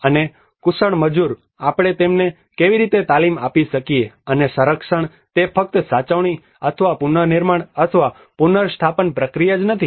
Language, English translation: Gujarati, And the skilled labour, how we can train them and conservation it is not just only the preservation or the reconstruction or the restoration process